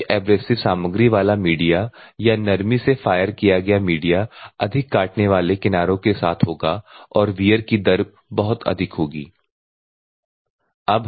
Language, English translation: Hindi, That means, the abrasive particle size media with higher abrasive content or media having been fired for soft will have the higher cutting edges and wear rates will be very high